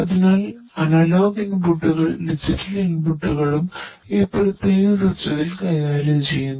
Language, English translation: Malayalam, So, both the analog as well as the digital inputs are handled in this particular system